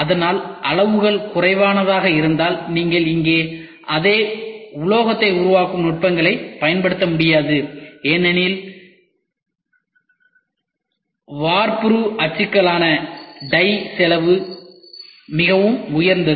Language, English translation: Tamil, But, if the quantities are literal you cannot use the same metal forming techniques here because the die cost is pretty expensive ok